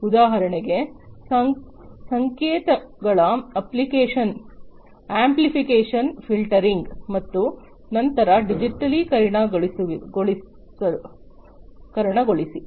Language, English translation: Kannada, For example, amplification filtering of the signals and so on and then digitize right